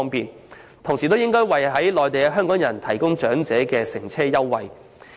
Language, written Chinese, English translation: Cantonese, 此外，當局亦應爭取為身處內地的港人長者提供乘車優惠。, In addition the Government should also work vigorously for the offering of transport fare concession for Hong Kong elderly persons living on the Mainland